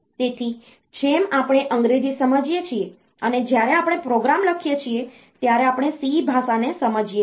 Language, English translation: Gujarati, So, like we understand English, when we are writing a program, we understand the language C